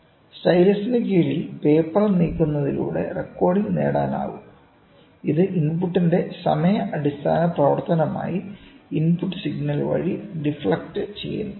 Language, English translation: Malayalam, The recording which can be obtained by moving the paper under the stylus and which is deflected by the input signal as a time based function for the input